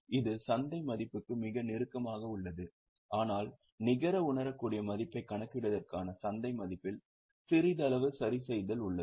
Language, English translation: Tamil, It is very close to market value, but there is slight adjustment to the market value for calculating net realizable value